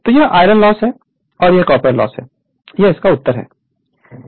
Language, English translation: Hindi, So, this is the iron loss and this is copper loss this is the answer